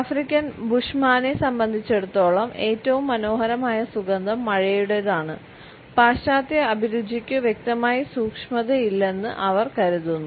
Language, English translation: Malayalam, For the African Bushmen, the loveliest fragrance is that of the rain and they would find that the western taste are distinctly lacking in subtlety